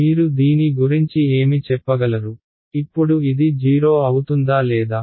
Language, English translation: Telugu, Now what can you say about this whether will this be 0 or not